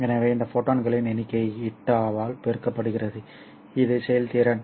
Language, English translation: Tamil, So this number of photons multiplied by eta, which is the efficiency